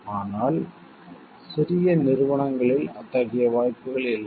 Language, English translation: Tamil, But in small organization such possibilities are not there